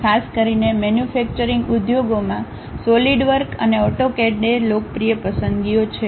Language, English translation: Gujarati, Especially, in manufacturing industries Solidworks and AutoCAD are the popular choices